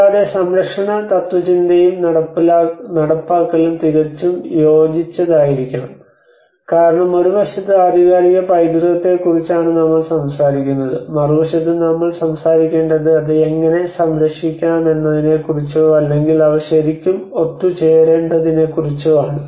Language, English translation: Malayalam, And conservation philosophy and execution should ideally converge because on one side we are talking about the authentic heritage on the other side we have to talk about how to protect it or so they has to really come together